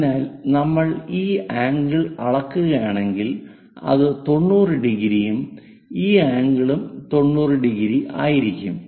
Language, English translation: Malayalam, So, if we are measuring this angle this is 90 degrees and this angle is also 90 degrees